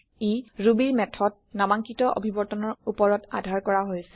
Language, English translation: Assamese, This is based on the method naming convention of Ruby